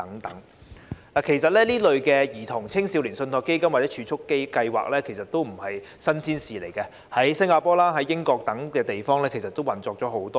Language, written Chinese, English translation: Cantonese, 事實上，這類兒童、青少年信託基金或儲蓄計劃並不是新鮮事，在新加坡、英國等地已運作多年。, In fact it is not novel to set up trust funds or savings programmes of this kind to benefit children and adolescents . They have been available in Singapore the United Kingdom and other places for many years